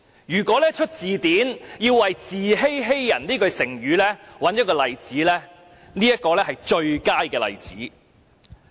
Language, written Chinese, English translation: Cantonese, 如要編製一本字典，為"自欺欺人"這句成語舉出一個例子，相信這會是最佳的事例。, If someone has to compile a dictionary and identify an example to explain the meaning of the word self - deception I think this should be the best case for illustration